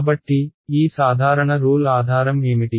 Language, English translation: Telugu, So, what is the basis of these simple rules